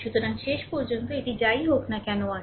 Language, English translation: Bengali, So, ultimately this whatever is there